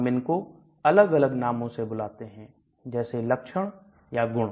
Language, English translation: Hindi, So we call them with different names; features, properties